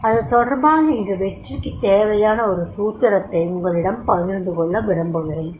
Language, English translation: Tamil, Now, here first I would like to share with you the formula of success